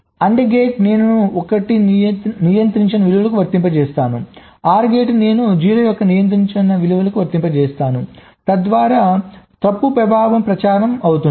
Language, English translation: Telugu, and gate i apply a non controlling value of one, or gate i apply a non controlling value of zero so that the fault effect gets propagated